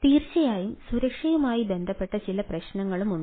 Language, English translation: Malayalam, so there are definitely ah security issues